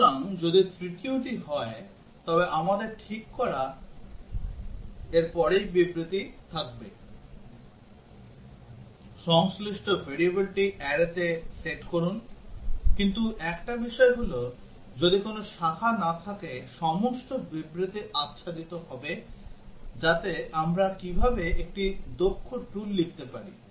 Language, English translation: Bengali, So, if the third one then we would have statement just after this, set the corresponding variable in the array, but one thing is that if there are no branches, all the statements will get covered so that is how we can write in a efficient tool